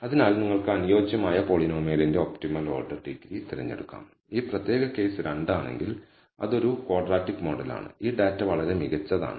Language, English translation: Malayalam, So, you can choose the optimal order degree of the polynomial to fit if this particular case as 2 that is a quadratic model ts this data very well